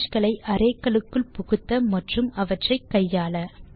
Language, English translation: Tamil, Read images into arrays and manipulate them